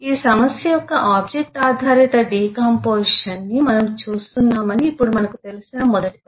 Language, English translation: Telugu, now the first task that we we know that we are looking at a object oriented decomposition of this problem